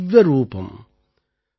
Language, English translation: Tamil, Vandit Divya Roopam |